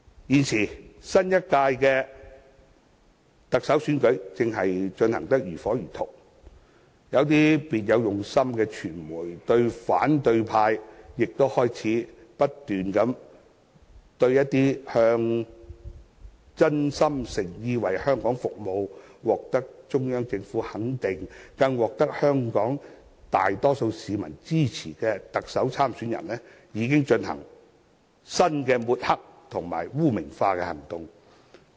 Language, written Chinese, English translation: Cantonese, 現時新一屆的特首選舉正進行得如火如荼，有些別有用心的傳媒及反對派亦開始不斷對某些真心誠意為香港服務，獲得中央政府肯定，更得到香港大多數市民支持的特首參選人，進行新的抹黑及污名化行動。, The new round of the Chief Executive election is in the pipeline . Some ill - intentioned members of the media industry and the opposition camp have started their new smearing action against candidates that are sincere in serving the Hong Kong public affirmed by the Central Government and supported by majority Hong Kong people